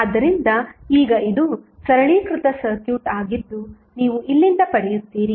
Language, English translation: Kannada, So, now, this is a simplified circuit which you will get from here